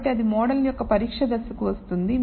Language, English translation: Telugu, So, that comes to the testing phase of the model